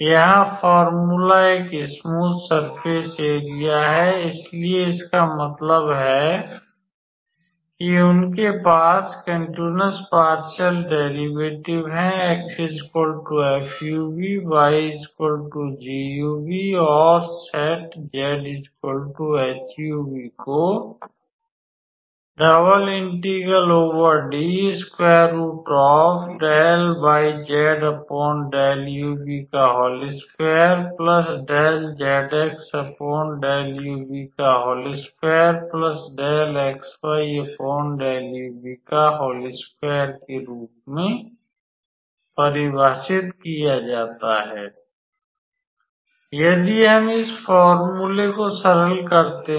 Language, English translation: Hindi, So, the formula is the area of a smooth surface, so, that means they have continuous partial derivatives x equals to f u, v y equals to g u, v and set z equals to h u, v